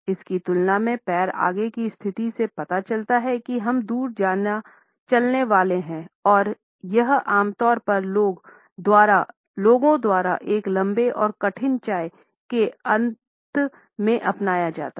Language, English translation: Hindi, In comparison to this, the foot forward position suggest that we are about to walk away and it is normally adopted by people towards the end of a rather long and tough tea